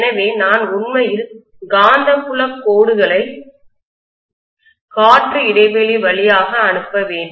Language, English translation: Tamil, So I am going to have to actually pass the magnetic field lines through the air gap